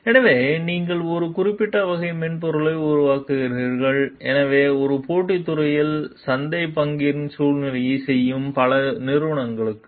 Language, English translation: Tamil, So, you develop a specific type of software so, for several companies that are maneuvering for market share in a competitive industry